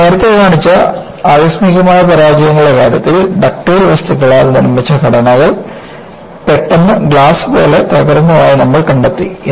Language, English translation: Malayalam, In the case of spectacular failures, which I had shown earlier, you found that, structures made of ductile materials, suddenly broke like glass